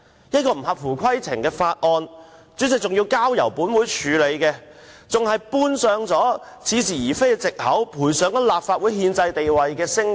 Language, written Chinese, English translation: Cantonese, 這項不合乎規程的《條例草案》，主席仍然交付本會處理，還搬出似是而非的藉口，賠上立法會的憲制地位及聲譽。, Though this Bill is out of order the President has given paradoxical excuses to allow it to be laid on the table at the expense of the constitutional status and reputation of the Legislative Council